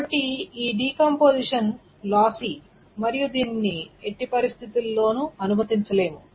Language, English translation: Telugu, So this is lossy and this cannot be allowed under any circumstances